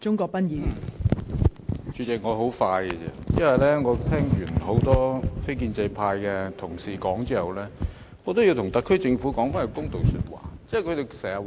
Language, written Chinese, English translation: Cantonese, 代理主席，我的發言會很短，因為我聽過多位非建制派的同事發言後，我要為特區政府說一句公道話。, Deputy President I will be brief . I wish to put a word in fairness for the SAR Government after having listened to a number of non - establishment Members just now